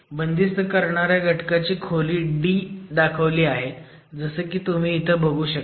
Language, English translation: Marathi, The depth of the confining element is D as you can see here